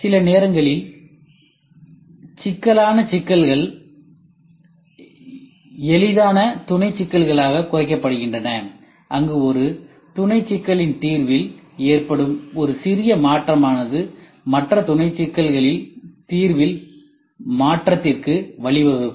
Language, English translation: Tamil, Sometimes complex problems are reduced into easier sub problems where a small change in the solution of one sub problem can lead to a change in other sub problem solution ok